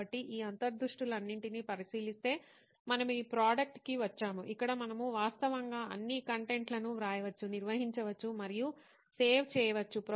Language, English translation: Telugu, So considering all these insights we have come to this product where we can actually write, organize and save virtually all the content